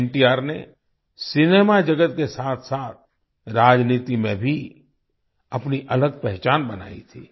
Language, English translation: Hindi, NTR had carved out his own identity in the cinema world as well as in politics